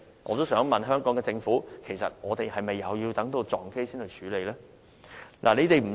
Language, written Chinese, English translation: Cantonese, 我也想問香港政府，其實我們是否也要等到空難發生才去處理呢？, I would also like to ask the Hong Kong Government if we will also do nothing until an accident happens?